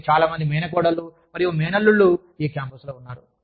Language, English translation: Telugu, And, so many nieces and nephews, on this campus